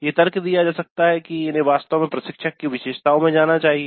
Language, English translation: Hindi, So one could argue that these actually should go into instructor characteristics, it is fine